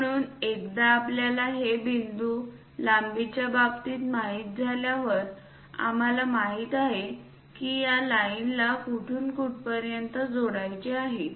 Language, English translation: Marathi, So, once we know these points in terms of lengths, we know where to where to join this line